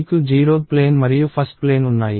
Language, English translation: Telugu, So, you have the 0 th plane and the 1 th plane